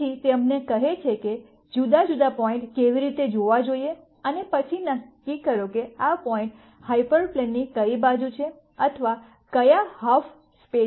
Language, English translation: Gujarati, So, that tells you how to look at different points and then decide which side of the hyperplane or which half space these points lie